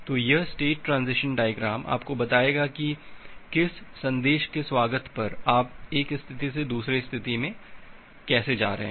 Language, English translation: Hindi, So, this state transition diagram will tell you that on reception of which message, how you are moving from one state to another state